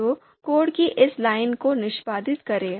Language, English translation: Hindi, So let’s execute this line of code and you would see